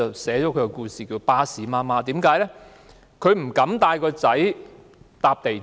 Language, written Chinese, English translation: Cantonese, 蘇太被稱為"巴士媽媽"，因為她不敢帶兒子乘坐港鐵。, Mrs SO is known as Bus Mother because she dare not take the MTR with her son a mentally - disabled man in his forties